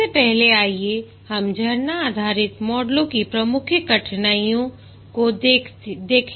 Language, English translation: Hindi, First let's look at the major difficulties of the waterfall based models